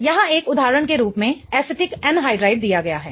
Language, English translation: Hindi, Acetic anhydride is given as an example here